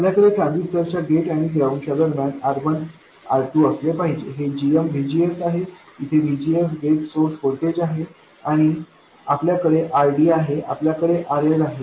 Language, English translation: Marathi, We will have R1, R2, between the gate of the transistor and ground, GM VGS where VGS is the gate source voltage, and we have RD and we have RL